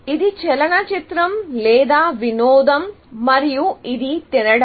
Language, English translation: Telugu, This is a movie or entertainment, and this is a eating out